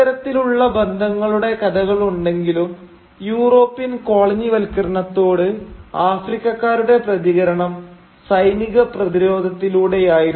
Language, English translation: Malayalam, But though there are these stories of alliances, the overwhelming African response to this European colonisation was of military resistance